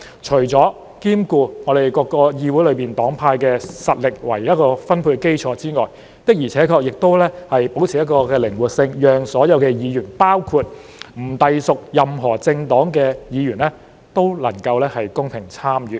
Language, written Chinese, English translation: Cantonese, 除了兼顧議會內各個黨派的實力作為分配基礎外，還保持靈活性，讓所有議員——包括不隸屬任何政黨的議員——都能夠公平參與。, Apart from giving consideration to the strengths of various groupings in the Council as the basis for allocation it also preserves flexibility and enables fair participation by all Members including those who do not belong to any political parties